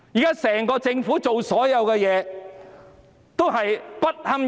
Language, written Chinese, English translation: Cantonese, 現時整個政府所做的事，全部都不堪入目。, All the deeds of the incumbent Government are unbearable